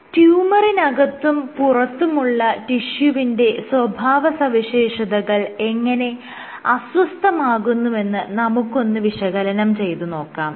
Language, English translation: Malayalam, So, now if you look at how the properties of the tissue in and around the tumor get perturbed